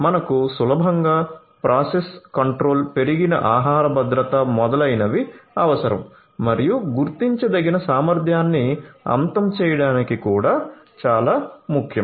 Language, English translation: Telugu, So, you need easier process control, increased food safety, etcetera and it is also very important to have adequate end to end traceability